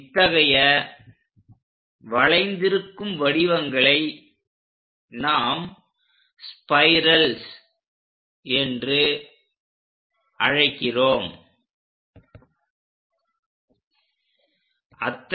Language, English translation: Tamil, Such kind of shapes are curves what we call spirals